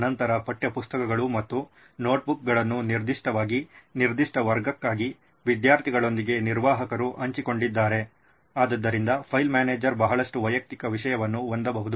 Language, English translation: Kannada, Then textbooks and notebooks would be very particularly what the admin has shared with the students for that particular class, so file manager can have a lot of personalised content as well